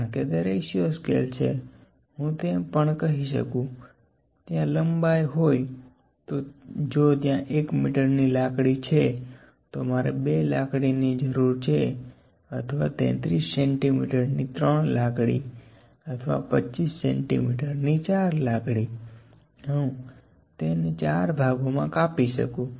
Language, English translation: Gujarati, Because it is a ratio scale I can even say if there is a length, if there is a there is a stick of 1 metre, I need two sticks or three sticks of 33 centimetres or maybe let me say and it is four sticks of 25 centimetres, I can cut this into four parts